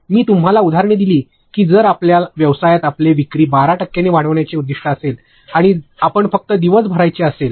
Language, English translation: Marathi, I have given you examples; that if your business had a goal to increase your sales by 12 percent and you just want to close the day